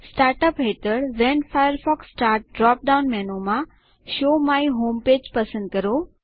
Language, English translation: Gujarati, Under Start up, in the When Firefox starts drop down menu, select Show my home page